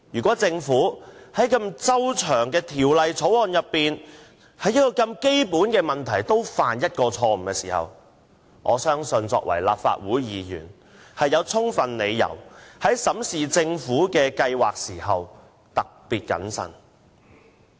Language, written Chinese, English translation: Cantonese, 在這項如此重要的《條例草案》，如果政府竟然在基本問題上也犯下錯誤，相信我作為立法會議員，有充分理由要特別謹慎地進行審視。, Given that the Bill is so important if the Government has made mistakes in some fundamental issues I believe that I as a Legislative Council Member have sufficient reasons to examine the Bill in a particularly prudent manner